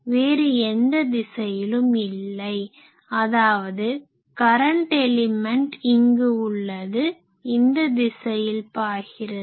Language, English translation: Tamil, It is not flowing in any other direction; that means, I have the current element, I have the current element here, this is my current element in this direction it is going in these direction